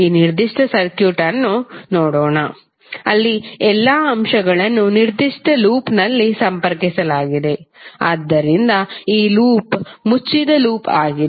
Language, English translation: Kannada, Let us see this particular circuit where all elements are connected in in in a particular loop, so this loop is closed loop